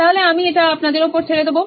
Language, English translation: Bengali, So I will leave it to you guys